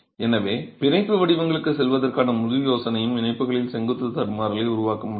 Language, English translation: Tamil, So, the whole idea of going in for bond patterns is to be able to create vertical stagger across the joints